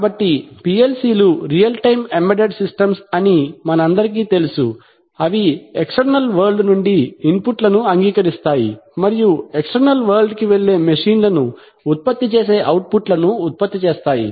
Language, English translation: Telugu, So, as we all know that PLCs are real time embedded systems, they are, they are reactive in the sense that they accept inputs from the external world and produce outputs which go to the external world namely the machines